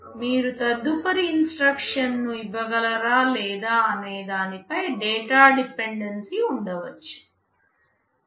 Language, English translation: Telugu, There can be data dependency whether you can feed the next instruction or not